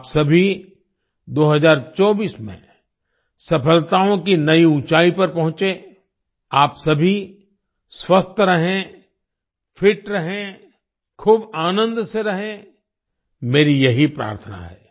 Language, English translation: Hindi, May you all reach new heights of success in 2024, may you all stay healthy, stay fit, stay immensely happy this is my prayer